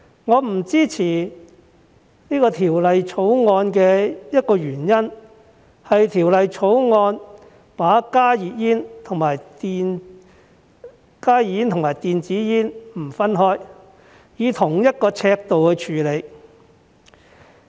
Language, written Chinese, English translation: Cantonese, 我不支持《條例草案》的一個原因，是《條例草案》沒有把加熱煙與電子煙分開，而是以同一尺度處理。, The reason why I do not support the Bill is that instead of dealing with heated tobacco products HTPs and e - cigarettes in different ways it treats them equally